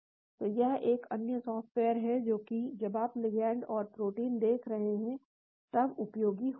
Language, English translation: Hindi, so this is another software, which is useful when you are looking at ligands and proteins